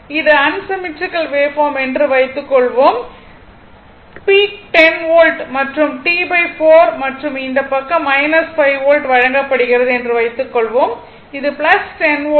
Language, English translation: Tamil, Suppose this is given suppose this this is unsymmetrical waveform suppose peak is given 10 volt right and T by 4 t by and this this side it is minus 5 volt this is plus 10 volt right